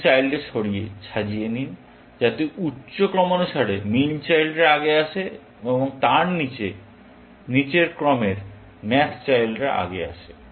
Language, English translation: Bengali, You order the children, so that, the higher order min children come first, and below that, the lower order max children come first